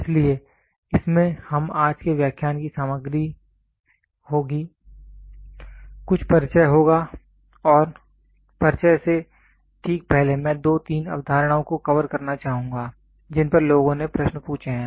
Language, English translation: Hindi, So, in this we would the content of today’s lecture will be I will have some introduction and just before introduction I will like to cover two three concepts which people have asked questions